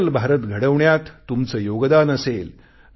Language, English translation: Marathi, It will be your contribution towards making of a digital India